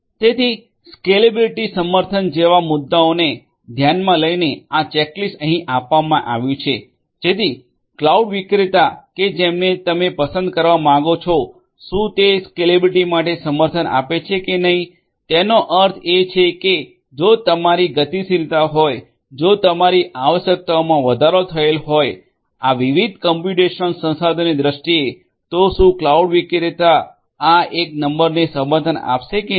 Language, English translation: Gujarati, So, this checklist is given over here taking into consideration points such as scalability support whether the particular cloud vendor that you want to choose has support for scalability; that means, if you have dynamically if your increase you know requirements increase and so, on in terms of these different computational resources etc